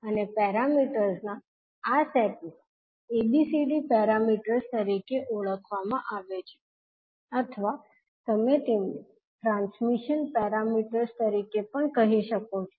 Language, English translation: Gujarati, And these sets of parameters are known as ABCD parameters or you can also say them as transmission parameters